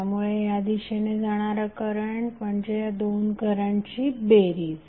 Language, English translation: Marathi, So the current flowing in this direction would be some of these two currents